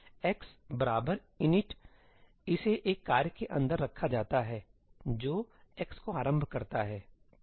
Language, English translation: Hindi, ëx equal to inití it is put inside a task which initializes x